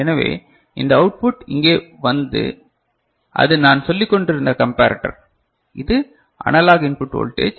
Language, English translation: Tamil, So, this output comes over here and that is a comparator that I was talking about right and this is the analog input voltage right